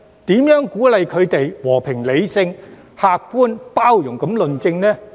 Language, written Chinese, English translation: Cantonese, 如何鼓勵他們以和平、理性、客觀和包容的態度論政？, How can we encourage them to discuss politics in a peaceful rational objective and inclusive manner?